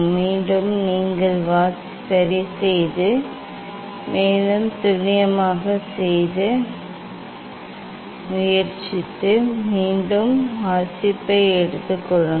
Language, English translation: Tamil, again, you just adjust you just adjust and try to make more accurate and again take reading